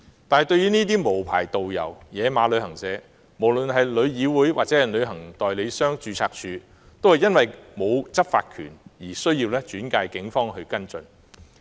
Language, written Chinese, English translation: Cantonese, 面對這些無牌導遊及"野馬"旅行社，無論是旅議會或註冊處，都因為沒有執法權而須轉介警方跟進。, When facing these unlicensed tourist guides and unauthorized travel agents both TIC and TAR have to refer the cases to the Police for follow - up because they have no law enforcement powers